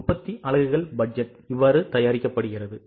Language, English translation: Tamil, This is how production units budget is produced